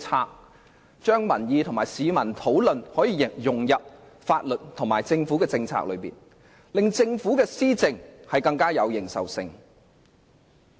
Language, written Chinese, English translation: Cantonese, 議員應把民意和市民的討論融入法律和政府政策中，令政府的施政更具認受性。, Members should incorporate public opinions and public discussions into laws and government policies so as to enhance the recognition of policies implemented by the Government